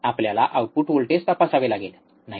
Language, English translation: Marathi, We have to check the output voltage, right isn't it